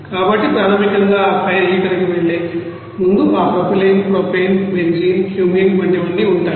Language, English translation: Telugu, So compound basically before going to that fire heater is you know that propylene, propane, benzene, Cumene all those things